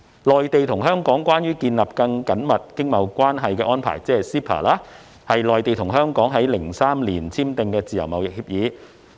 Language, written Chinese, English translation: Cantonese, 《內地與香港關於建立更緊密經貿關係的安排》是內地與香港於2003年簽訂的自由貿易協議。, The MainlandHong Kong Closer Economic Partnership Arrangement CEPA is a free trade agreement signed between the Mainland and Hong Kong in 2003